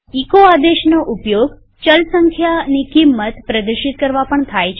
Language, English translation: Gujarati, We can also use the echo command to display the value of a variable